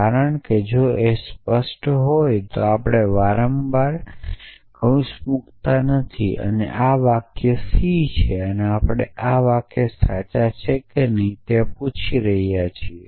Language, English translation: Gujarati, But I am not doing it, because when if clear then we do not often put brackets and this is the sentence c and we are asking with the this sentences true or not